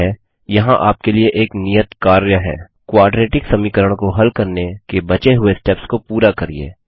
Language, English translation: Hindi, Okay, here is an assignment for you: Complete the remaining steps for solving the quadratic equation Display the two results separately